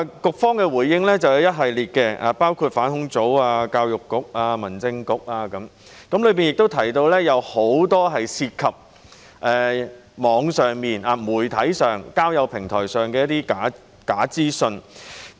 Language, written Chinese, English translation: Cantonese, 局方作出了一系列回應，涵蓋反恐專責組、教育局、民政事務局等，並提到很多在網上、媒體和交友平台的假資訊。, In its series of responses the Bureau has touched on the efforts of say the Counter Terrorism Unit EDB and the Home Affairs Bureau HAB as well as the emergence of a great deal of false information on the Internet media and dating platforms